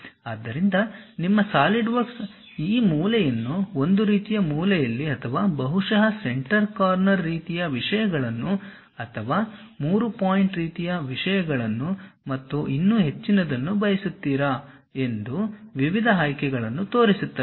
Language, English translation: Kannada, So, your Solidwork shows variety of options whether you want this corner to corner kind of thing or perhaps center corner kind of things or 3 point kind of things and many more